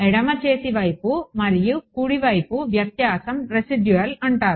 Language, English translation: Telugu, Left hand side minus right hand side is called residual